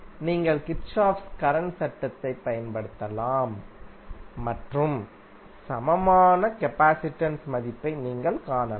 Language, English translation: Tamil, You can simply apply Kirchhoff current law and you can find out the value of equivalent capacitance